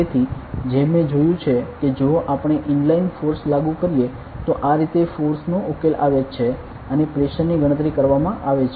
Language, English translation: Gujarati, So, as I have even if we apply an inline force this is how the force is resolved and pressure is calculated